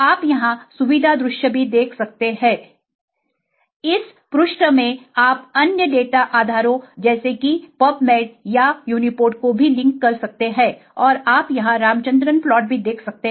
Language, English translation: Hindi, You can also see the feature view here, in this page you can also link to other data bases such as pubmed and uniprot and you can also view the Ramachandran plot here